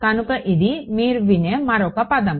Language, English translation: Telugu, So, that is another word you will hear